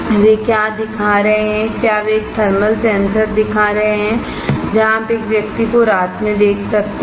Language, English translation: Hindi, What they are showing whether they are showing a thermal sensor, where you can see a person in night